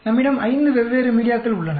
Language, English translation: Tamil, We have five different media